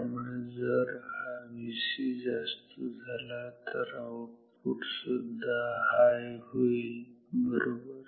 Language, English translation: Marathi, So, if this V c is this V c goes high then the output will be high right